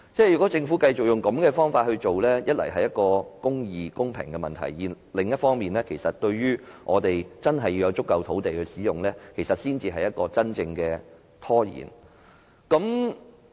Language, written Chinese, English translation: Cantonese, 如果政府繼續以這種方法行事，一方面會引起公義和公平的問題；另一方面未能覓得足夠土地，對各項發展造成拖延。, If the Government continues to act in this way the issue of justice and fairness will arise and there will not be enough land for all sorts of development causing delays